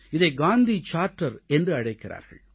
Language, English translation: Tamil, This is also known as the Gandhi Charter